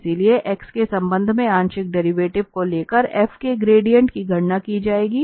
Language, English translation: Hindi, So, gradient of f will be computed by taking the partial derivative with respect to x